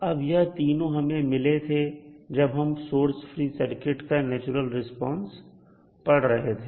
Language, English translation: Hindi, Now these 3 we got when we discussed about the source free response that is natural response of the circuit